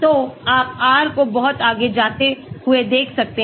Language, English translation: Hindi, So, you can see R going up much further